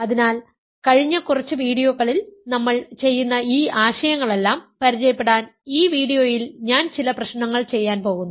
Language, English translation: Malayalam, So, in this video I am going to do some problems to get familiarized with all these concepts that we are doing in the last few videos